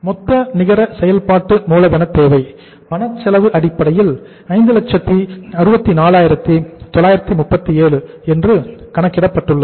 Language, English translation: Tamil, Total net working capital requirement on cash cost basis, cash cost basis we have worked out is that is 564,937